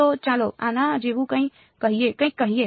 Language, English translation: Gujarati, So, let say something like this ok